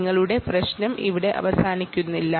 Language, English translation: Malayalam, your problem doesnt end here